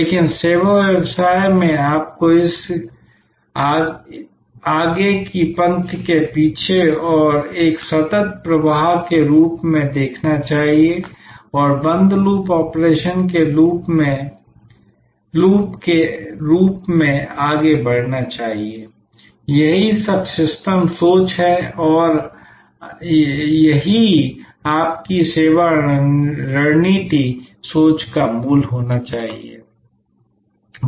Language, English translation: Hindi, But, in service business you must see it as a continuous flow from the front line to the back and forward as a loop as a closed loop operation; that is what systems thinking is all about and that should be the core of your service strategy thinking